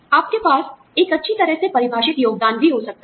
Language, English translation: Hindi, You could also have, a well defined contribution